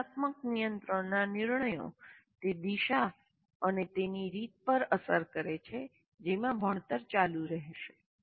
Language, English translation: Gujarati, Metacognitive control decisions influence the direction and the manner in which learning will continue